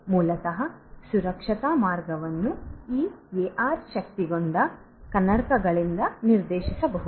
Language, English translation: Kannada, So, the safe passage way out basically can be directed to this AR enabled glass